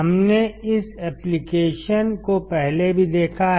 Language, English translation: Hindi, We have seen this application earlier also